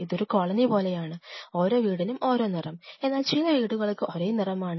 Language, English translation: Malayalam, Now it is a kind of a colony where every house has different color and yet some houses which are of similar color